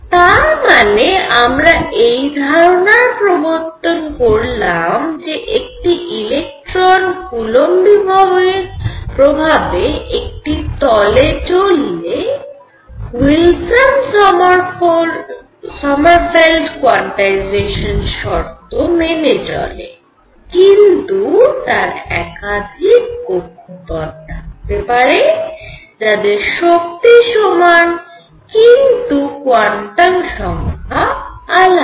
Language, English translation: Bengali, So, what we have now introduce generalize the idea of these orbits of electrons moving in a plane when they are moving under the influence of a coulomb potential through Wilson Sommerfield quantization conditions now will a more orbits then one that have the same energy; however, different quantum numbers